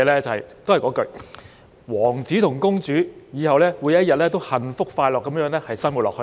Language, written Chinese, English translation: Cantonese, 都是那一句：王子和公主以後每天都幸福快樂地生活下去。, It is the same old cliché The prince and the princess live happily ever after